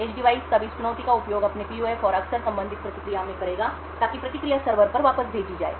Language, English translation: Hindi, The edge device would then use this challenge in its PUF and often the corresponding response, so that response is sent back to the server